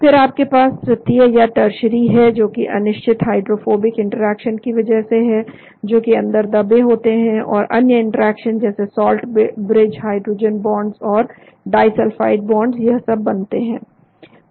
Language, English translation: Hindi, Then you have the tertiary which is because of the non specific hydrophobic interactions which are buried inside, and another interaction such as salt bridges, hydrogen bonds, disulfide bonds all these are formed